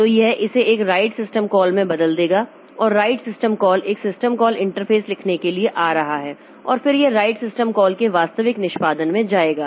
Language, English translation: Hindi, So it will convert this into a right system call and the right system call is coming to the right a system call interface and then it will go to the actual execution of the right system call